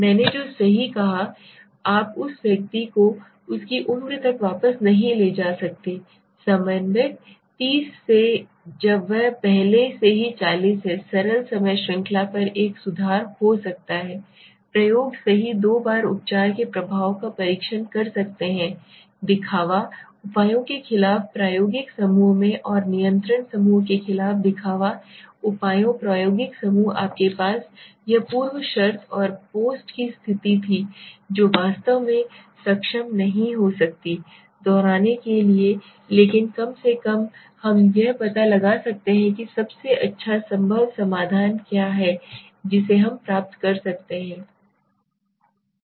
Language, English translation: Hindi, What I said right you cannot take back the person to is to age of coordinator 30 again when it is already 40 can be an improvement over the simple time series experiment right can test the treatment effect twice against the pretreatment measures pretreatment measures in the experimental group and against the control group in the experimental group you had that precondition and post condition which exactly might not be able to replicate but at least we can figure out what is the best possible solution that we can achieve